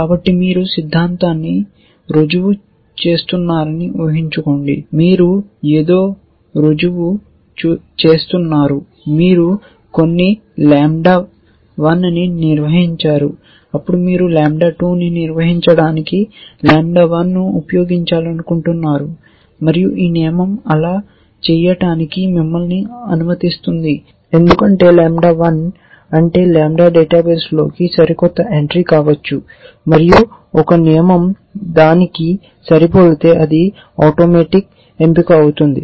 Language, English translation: Telugu, So, just imagine you are doing theorem proving, you are proving something, you have proved some lambda 1 then, you want to use lambda 1 to prove lambda 2 and this rule will allow you to do that because lambda 1 which is whatever that lambda is could be the latest entry into a database and if a rule is matching that, that will automatic get selected